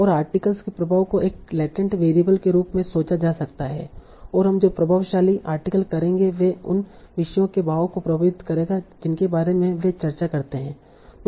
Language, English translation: Hindi, And the influence of an article can be thought of as latent variable and what we will do, influential articles will affect the drift of the topics that they discuss